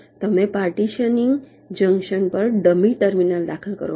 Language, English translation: Gujarati, you introduce a dummy terminal at the partitioning junction